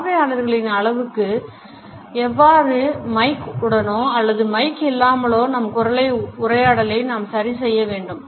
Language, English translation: Tamil, The loudness of our voice with or without a mike should be adjusted to the size of our audience